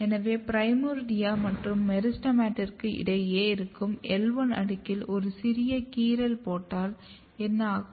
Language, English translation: Tamil, If you just make a very small incision basically in just the L1 layer between primordia and the meristem if you make a kind of incision